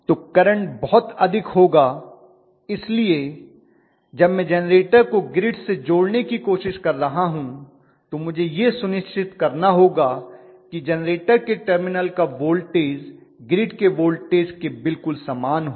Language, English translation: Hindi, So the current will be infinitely large, so when I am trying to close the generator to the grid I have to make sure that the voltage is at the terminals of the generator will be exactly similar to what are the voltages at the grid point